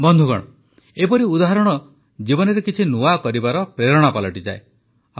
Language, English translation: Odia, Friends, such examples become the inspiration to do something new in life